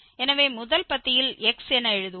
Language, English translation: Tamil, So, we will write down in the first column as x